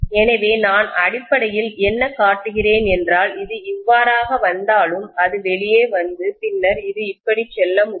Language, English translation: Tamil, So I am essentially showing as though it is coming like this, it can come out and then it can go like this